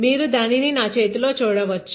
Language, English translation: Telugu, You can see it in my hand